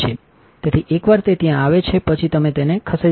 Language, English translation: Gujarati, So, once it is there you can just move it